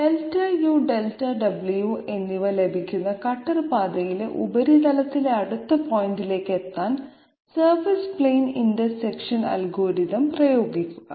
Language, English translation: Malayalam, Apply the surface plane intersection algorithm to get to the next point on the surface on the cutter path that is obtained Delta u and Delta w